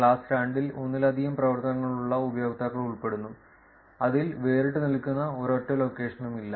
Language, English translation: Malayalam, Class 2 is consists of users with multiple activities in which there is no single location that stands out